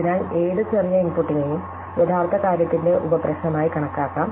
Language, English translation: Malayalam, So, any smaller input can be treated as the sub problem of the original thing